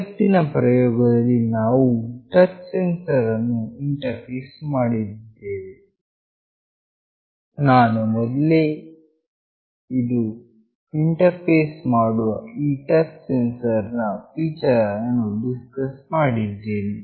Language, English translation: Kannada, In today’s experiment we will be interfacing a touch sensor, I have already discussed about the feature of this touch sensor that I will be interfacing today